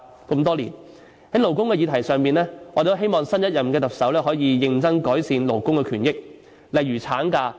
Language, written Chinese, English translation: Cantonese, 在勞工的議題上，我們希望新任特首可以認真改善勞工權益，例如產假。, On the subject of labour we hope that the new Chief Executive can seriously improve labour rights and interests such as maternity leave